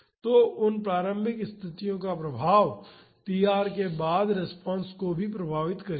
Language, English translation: Hindi, So, the effect of those initial conditions will also affect the response after tr